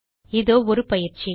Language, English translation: Tamil, Here is an assignment